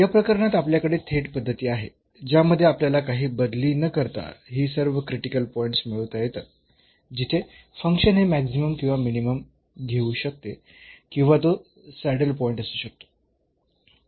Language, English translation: Marathi, In this case we have some direct method which without substituting we can actually get all these critical points where, the function may take maximum minimum or it may be a saddle point